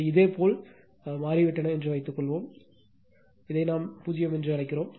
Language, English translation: Tamil, Suppose, these has become your what we call is your what you call this your 0 right